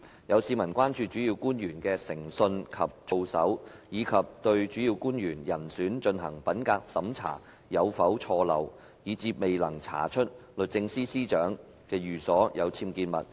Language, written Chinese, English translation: Cantonese, 有市民關注主要官員的誠信及操守，以及對主要官員人選進行的品格審查有否錯漏，以致未能查出律政司司長的寓所有僭建物。, Some members of the public have expressed concern about the integrity and conduct of principal officials and whether there were errors or omissions in the integrity checking conducted on candidates for principal official posts resulting in the failure to uncover the UBWs in SJs residence